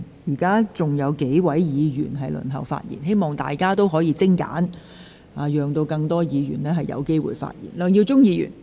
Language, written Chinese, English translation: Cantonese, 現在仍有數位議員輪候發言。請大家發言盡量精簡，讓更多議員有機會發言。, As several Members are waiting for their turn to speak Members should speak as concise as possible so as to allow more Members to have the chance to speak